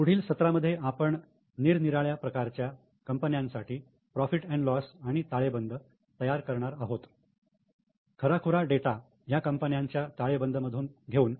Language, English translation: Marathi, In coming sessions we are going to make P&L and balance sheet for various types of companies, taking the actual data from the balance sheets of companies